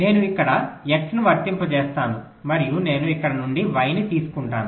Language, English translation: Telugu, i apply x here and i take y from here